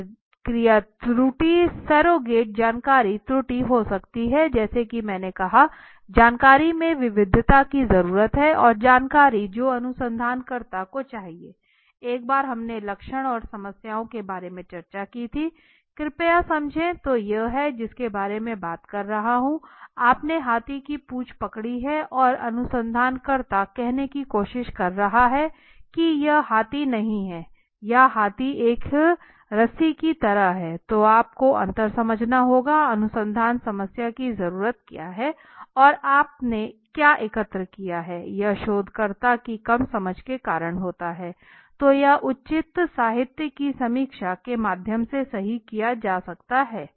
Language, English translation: Hindi, So response error could be surrogate information error as I said the variation between the information needed and the information sought by the researcher so the problem please understand once we had discussed in the class about symptoms and the problems so this is what I am talking about you have caught the tail of elephant and you are saying the researcher is such as trying to say this is not an elephant or the elephant is like a rope no that is not it so you have to understand there is a difference between what is the research problem needs and what have you collected right so this occurs because many times of the poor understanding of the researcher so that can only be corrected through proper literature review